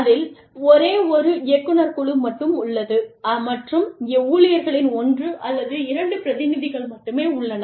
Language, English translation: Tamil, There is only one board of directors, and the only one or two representatives of the employees, are there